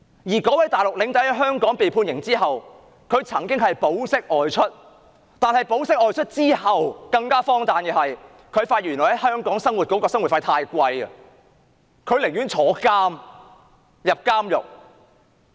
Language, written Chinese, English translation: Cantonese, 那名內地領隊在香港被判刑之後曾保釋外出，但更荒誕的是，他發現在香港生活的費用太貴，寧願坐牢。, The Mainland tour escort was granted bail after sentencing but it was most absurd that he preferred to be imprisoned because he found the living expenses in Hong Kong too high